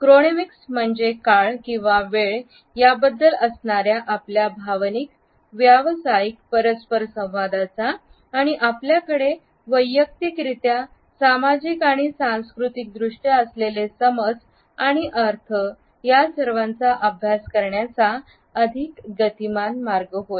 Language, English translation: Marathi, Chronemics ask for a more dynamic way of studying our professional interactions with emotional understandings and connotations which we have individually, socially and culturally with time